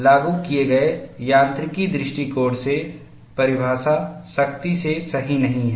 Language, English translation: Hindi, The definition is not strictly correct from applied mechanics point of view